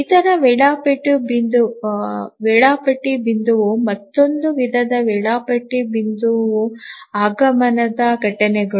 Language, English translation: Kannada, The other scheduling point, other type of scheduling point are the arrival events